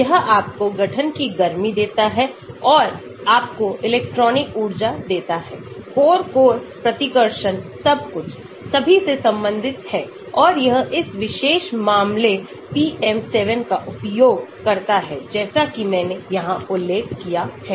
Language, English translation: Hindi, it gives you the heat of formation and gives you electronic energy, core core repulsion everything, all related to and it uses this particular case PM7 as I mentioned here